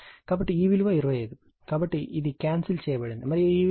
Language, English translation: Telugu, So, it is 25, so, this is cancelled right, and this is 2